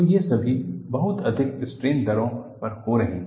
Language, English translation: Hindi, So, these are all happening at very high strain rates